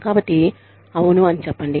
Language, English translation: Telugu, So, say, yes